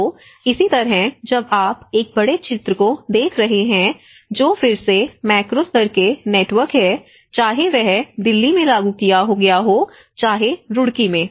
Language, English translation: Hindi, So, similarly when you are looking at a larger picture that is again the macro level networks whether it has been implemented in Delhi, whether implemented in Roorkee you know so this is how we looked at it